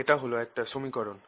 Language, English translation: Bengali, that's one equation